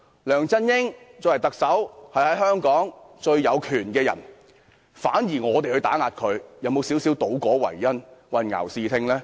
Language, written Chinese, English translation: Cantonese, 梁振英身為特首，是香港最有權的人，反而說我們打壓他，會否有些倒果為因，混淆視聽呢？, As the Chief Executive LEUNG Chun - ying is the most powerful person in Hong Kong . How can one say we oppress him? . Is this taking effect for cause and leading the public astray?